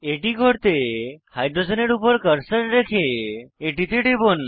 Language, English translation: Bengali, To do so, we will place the cursor on the hydrogen and click on it